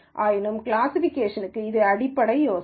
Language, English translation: Tamil, Nonetheless for classification this is the basic idea